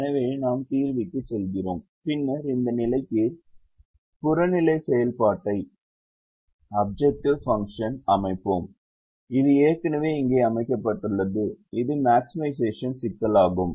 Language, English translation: Tamil, so we go to the solver and then we set the objective function to this position, which is already set here, and the three constraints are here which i have already set here